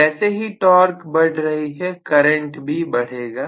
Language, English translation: Hindi, As the torque increases, the current will increase